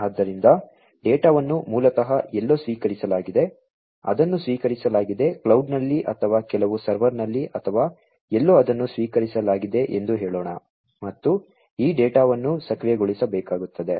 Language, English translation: Kannada, So, the data basically are received at somewhere, it is received let us say in the cloud or in some server or somewhere it is received, and this data will have to be processed, right